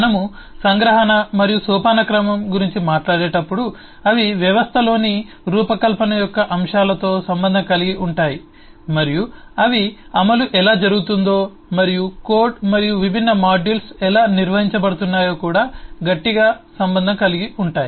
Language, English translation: Telugu, they relate both to the aspects of design in the system, when we talk about abstraction and hierarchy, and they also strongly relate to how the implementation is done and how the code and different modules are organized